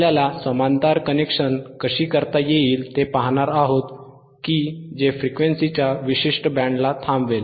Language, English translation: Marathi, We will see how the parallel connection can be done right, the name itself that it will stop a particular band of frequencies